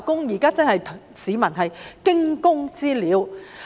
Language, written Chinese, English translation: Cantonese, 現在市民真是如"驚弓之鳥"。, Members of the public have indeed become badly frightened now